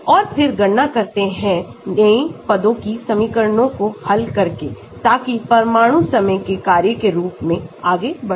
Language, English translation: Hindi, And then calculate the new positions by solving these equations so the atoms move as a function of time